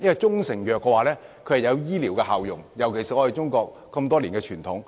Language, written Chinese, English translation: Cantonese, 中成藥有醫療效用，是中國多年來的傳統。, Proprietary Chinese medicines have medicinal properties and originate from years of Chinese tradition